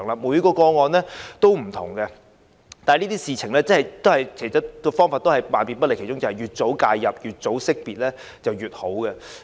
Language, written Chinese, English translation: Cantonese, 每宗個案都不同，但處理這些事情的方法總永遠也是越早識別、越早介入越好。, Each case differs from others . But for the approach in dealing with these cases it is always better to have earlier identification and intervention